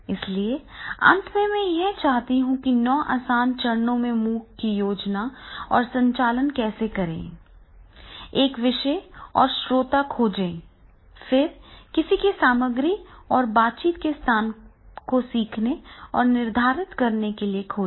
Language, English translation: Hindi, So, finally I would like to come, that is how to plan and run a MOOC in nine easy steps, that is the topic and audience is there, find someone to teach with and determine the content and plan spaces of interaction